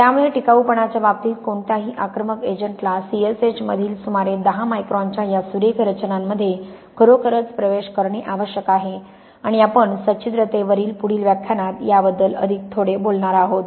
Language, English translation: Marathi, So, in terms of durability any aggressive agent has really got to penetrate between these fine structures of about 10 microns between the C S H and we are going to talk about this a bit more in the next lecture on porosity